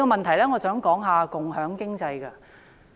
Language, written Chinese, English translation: Cantonese, 第二，我想說一說共享經濟。, Second I would like to talk about sharing economy